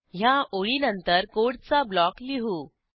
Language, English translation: Marathi, Let me put a block of code after this line